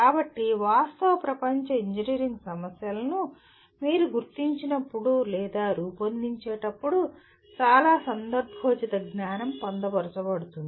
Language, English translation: Telugu, So there is a lot of contextual knowledge that gets incorporated into when you identify or formulate real world engineering problems